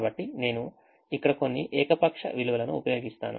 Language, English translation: Telugu, so i am just let me use some arbitrary value here